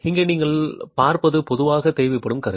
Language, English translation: Tamil, What you see here is the instrumentation that is typically required